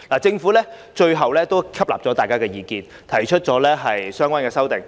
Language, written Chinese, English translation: Cantonese, 政府最終接納了委員的意見，提出了相關的修訂。, The Government has eventually taken members views on board and proposed relevant amendments